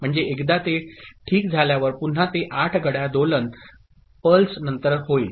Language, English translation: Marathi, So, once it occurs right, it will again occur after 8 clock pulses